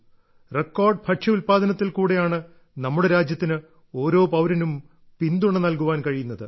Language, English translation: Malayalam, Due to the record food grain production, our country has been able to provide support to every countryman